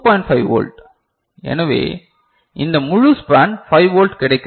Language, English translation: Tamil, 5 volt, so this whole span 5 volt that we get